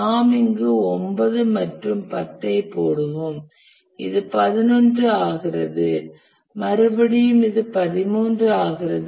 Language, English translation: Tamil, We'll put here 9 and 10 and this becomes 11 and this becomes 13